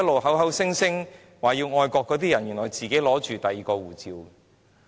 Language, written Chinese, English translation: Cantonese, 口口聲聲表示愛國的人，原來都持有外國護照。, Some people claim that they are patriotic while keeping foreign passports in their back pockets